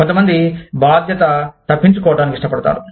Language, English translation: Telugu, Some people, like to avoid, responsibility